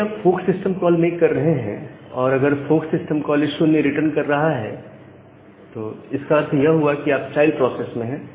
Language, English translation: Hindi, So, whenever you are making this fork system call and if the fork system call is returning 0; that means, you are inside the child process